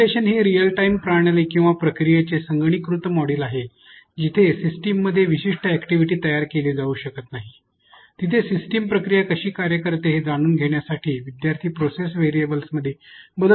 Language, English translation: Marathi, Simulation for example, is a computerized model of a real life system or process where specific activities may not be built into the system learners can manipulate processes variables to learn how the system process works